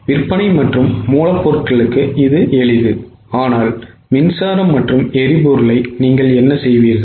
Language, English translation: Tamil, For sales and raw material it is simple but what will you do with power and fuel